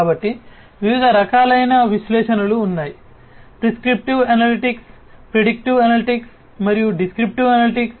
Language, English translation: Telugu, So, there are different types of analytics prescriptive analytics, predictive analytics, and descriptive analytics